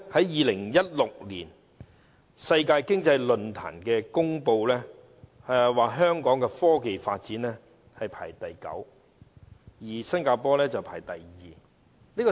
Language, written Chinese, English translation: Cantonese, 2016年，世界經濟論壇公布香港在科技發展排名第九，新加坡則排第二。, In 2016 the World Economic Forum announced that Hong Kong ranked the ninth in technology development while Singapore ranked the second